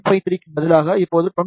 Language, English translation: Tamil, 853, it will become now 28